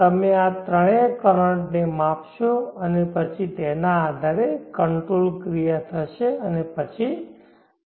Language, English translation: Gujarati, You will measure all these three currents and then based on that the control action will happen and then the control will take place